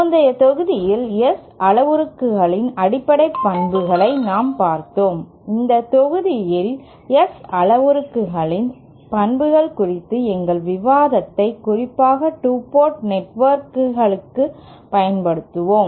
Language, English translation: Tamil, In the previous module we had seen the basic properties of the S parameters; in this module we will continue our discussion on the properties of S parameters especially as applied to 2 port networks